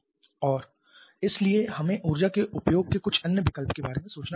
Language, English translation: Hindi, And therefore we may have to think about some other option of utilizing the energy